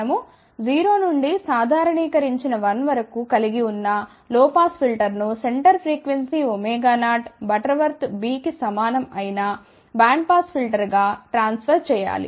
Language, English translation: Telugu, We have to transfer low pass filter which was from 0 to normalize value of 1 to a bandpass filter, with the center frequency of omega 0 and bandwidth equal to b